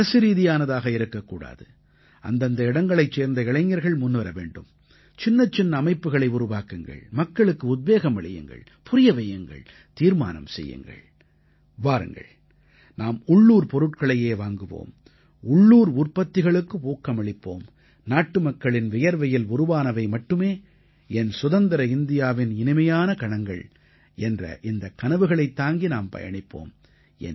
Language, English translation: Tamil, And this work should not be carried out by government, instead of this young people should step forward at various places, form small organizations, motivate people, explain and decide "Come, we will buy only local, products, emphasize on local products, carrying the fragrance of the sweat of our countrymen That will be the exultant moment of my free India; let these be the dreams with which we proceed